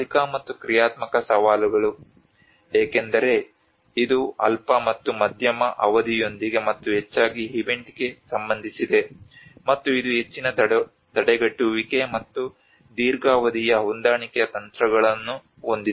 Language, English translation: Kannada, Temporal and functional challenges; because this is more to do with the short and medium term and mostly to the event related, and this has more of a prevention and also the long term adaptation strategies